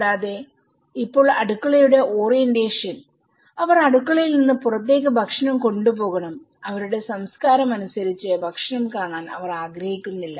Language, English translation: Malayalam, Also the orientation of the kitchens now, they have to carry the food from the kitchen to the outside and in their cultures, they donÃt want the food to be seen